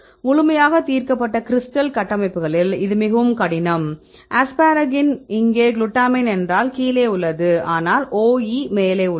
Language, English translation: Tamil, In fully resolved crystal structures, it is very difficult for example, see the asparagine are the glutamine here in case is down, but the OE is up